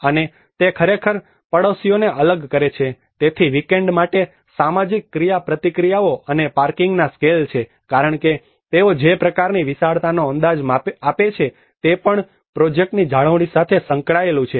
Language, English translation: Gujarati, And it actually separates the neighbours, so there is the social interactions for weekend and the scale of parking because the kind of vastness they are projected it also has to implicate with the maintenance of the project